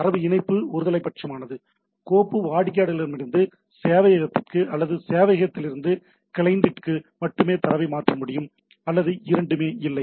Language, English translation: Tamil, The data connection is unilateral file can transfer data only from client to server or from server to client or not both